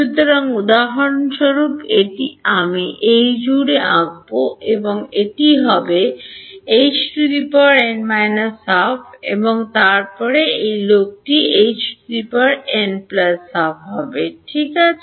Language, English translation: Bengali, So, for example, this I will draw with a across this will be H n minus half and then this guy will be H n plus half ok